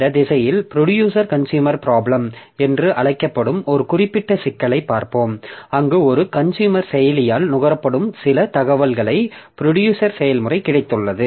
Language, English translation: Tamil, In this direction, so we'll be looking into one particular problem which is known as producer consumer problem where we have got some producer process that produces some information that is consumed by a consumer process